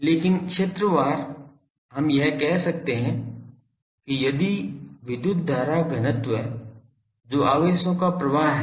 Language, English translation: Hindi, But in the field wise we can equivalently say that if there is an electric current density which is flow of charges